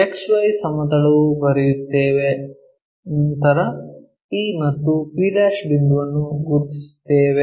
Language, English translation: Kannada, XY plane we will write, draw then mark point P and p'